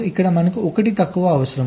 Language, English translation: Telugu, here we require one less